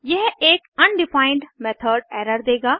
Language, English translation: Hindi, It will give an undefined method error